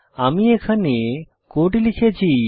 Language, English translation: Bengali, I have written the code here